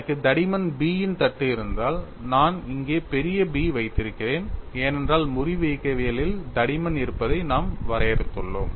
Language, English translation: Tamil, Say if I have a plate of thickness b, I would here have capital B, because that is how we have defined the thickness in fracture mechanics